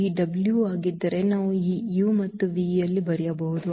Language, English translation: Kannada, That if this w we can write down in terms of this u and v if